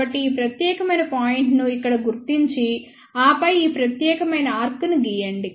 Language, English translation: Telugu, So, locate this particular point here ok and then approximately draw this particular arc